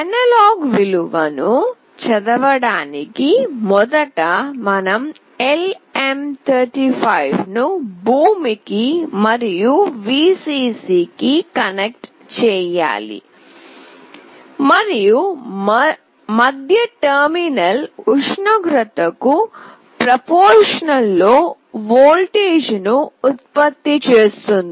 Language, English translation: Telugu, For reading the analog value, firstly we need to connect LM35 to ground and Vcc, and the middle terminal will produce a voltage proportional to the temperature